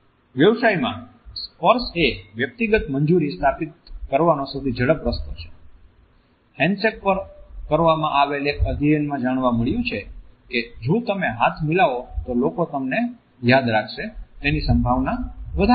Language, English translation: Gujarati, In business touch is the quickest way to establish personal approval, a study on handshakes found that people are twice as likely to remember you if you shake hands